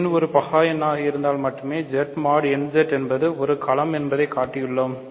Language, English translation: Tamil, So, n is a prime number I want to show that Z mod nZ bar Z mod nZ is a field